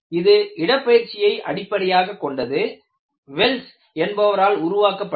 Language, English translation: Tamil, This is displacement based; this was developed by Wells